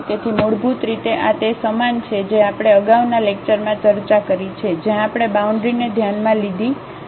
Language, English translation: Gujarati, So, basically this is similar to the problem we have discussed in the previous lecture where, we had taken the boundaries into the consideration